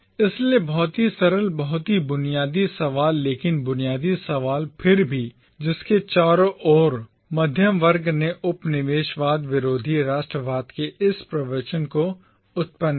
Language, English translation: Hindi, So, very simple, very basic questions but fundamental questions nevertheless around which the middle class generated this discourse of anti colonial nationalism